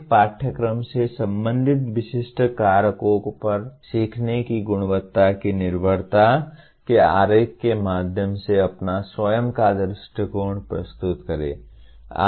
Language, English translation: Hindi, Present your own view through a diagram of the dependence of quality of learning on specific factors related to a course that you taught